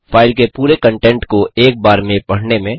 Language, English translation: Hindi, Read the entire content of file at once